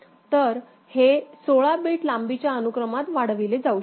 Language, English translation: Marathi, So, this can be extended to 16 bit long sequence